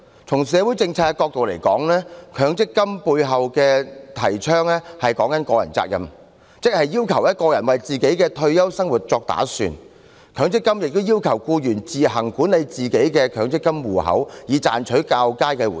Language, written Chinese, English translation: Cantonese, 從社會政策角度而言，強積金背後提倡的是個人責任，即要求個人為自己的退休生活作打算，強積金亦要求僱員自行管理自己的強積金戶口，以賺取較佳回報。, From the perspective of social policies the concept behind the MPF System is personal responsibility which means it requires an individual to plan for his own retirement life . MPF also requires employees to manage their own MPF accounts in order to make better returns